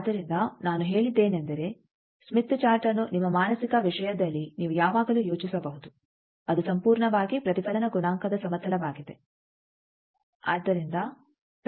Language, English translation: Kannada, So, there now think, that Smith Chart I have said that always you can in your mental thing think that it is purely a reflection coefficient plane